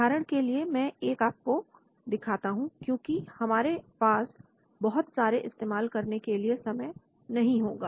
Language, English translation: Hindi, For example, I will just show you, we will not have time to spend on so many